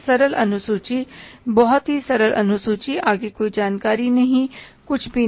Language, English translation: Hindi, Simple schedule, very simple schedule, no further information, nothing